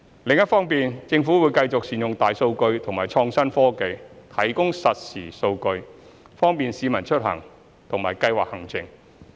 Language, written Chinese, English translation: Cantonese, 此外，政府會繼續善用大數據及創新科技，提供實時數據，方便市民出行和計劃行程。, Moreover the Government will continue to make good use of big data and innovative technologies to provide real - time data to facilitate the public in travelling and trip planning